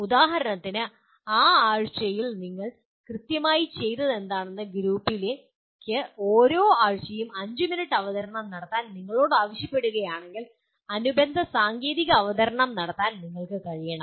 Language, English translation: Malayalam, For example if you are asked to make a 5 minute presentation every week to the group what exactly that you have done during that week, you should be able to make the corresponding technical presentation